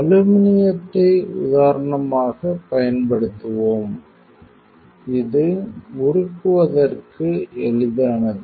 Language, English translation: Tamil, We will use aluminum as an example it is easy to melt